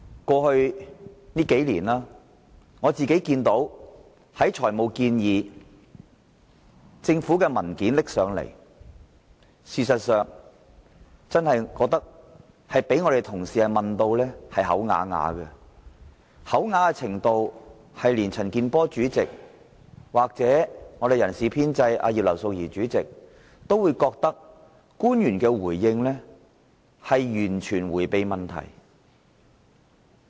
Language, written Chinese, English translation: Cantonese, 過去數年，官員就政府的財務建議及其提交的文件，經常被議員同事問得啞口無言，甚至連財務委員會主席陳健波議員及人事編制小組委員會主席葉劉淑儀議員都認為官員的回應是在迴避問題。, In the past few years government officials often failed to answer Members questions on financial proposals and submissions . Even Mr CHAN Kin - por Chairman of the Finance Committee and Mrs Regina IP Chairman of the Establishment Subcommittee considered that some officials were evading questions